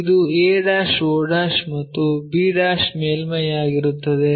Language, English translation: Kannada, So, a' o' and b' surface